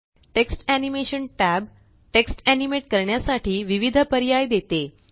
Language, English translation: Marathi, The Text Animation tab offers various options to animate text